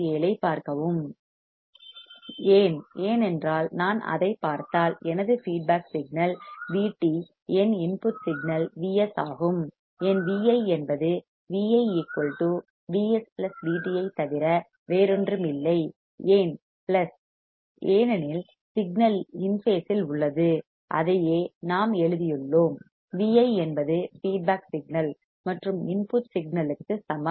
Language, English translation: Tamil, Why, because if I see it my feedback signal is V t my input signal is V s, then my V i would be nothing but Vi = Vs+Vt, Why plus because the signal is in phase and that is what we have written Vi equals to feedback signal plus input signal